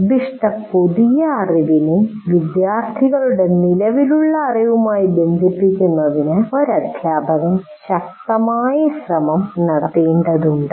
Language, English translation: Malayalam, So a teacher will have to make a very strong attempt to link the proposed new knowledge to the existing knowledge of the students